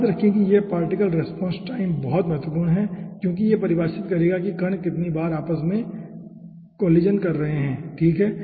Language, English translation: Hindi, okay, remember this particle response time is very, very important because it will be defining that how frequently that particles are colliding among themselves